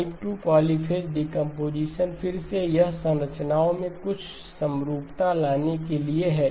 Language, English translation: Hindi, Type 2 polyphase decomposition, again it is for certain introducing certain symmetries in the structures